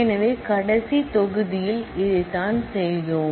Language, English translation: Tamil, So, this is what we did in the last module